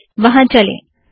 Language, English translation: Hindi, Lets just go there